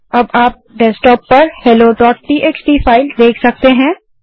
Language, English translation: Hindi, Now on the desktop you can see the file hello.txt